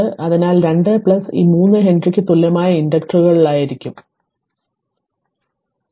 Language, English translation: Malayalam, So, 2 plus this 3 equivalent your thing will be 5 Henry equivalent inductors right so let me clear it